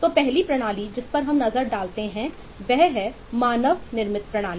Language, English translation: Hindi, so the first system we take a look at is a man made system